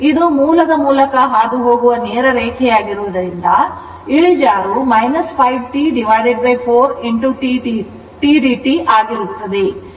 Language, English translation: Kannada, Because this is straight line passing through the origin this is a slope minus 5 T by 4 into t dt right